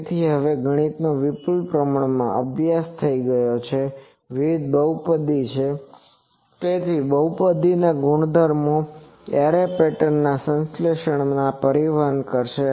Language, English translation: Gujarati, So, now the mathematics has reach richly study this is various polynomials so, that polynomials properties will transport to the synthesis of the array patterns